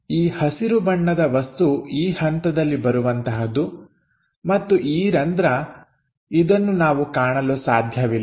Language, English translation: Kannada, The green material that comes at this level and this hole we cannot see it